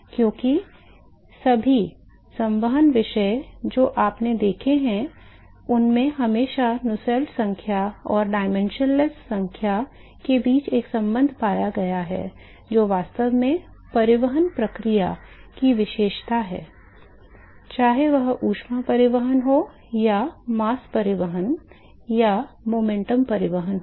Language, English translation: Hindi, Because all the convection topic that you have seen were always found that there is a relationship between the Nusselt number and the dimension less quantities, which is actually characterizing the transport process, whether it is heat transport or mass transport or momentum transport right